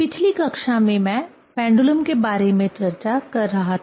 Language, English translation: Hindi, In last class I was discussing about the pendulum